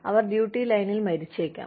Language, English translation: Malayalam, They may die, in the line of duty